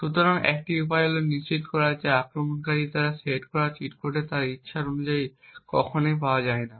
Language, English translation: Bengali, So, one way is to make sure that the cheat code set by the attacker is never obtained as per his wishes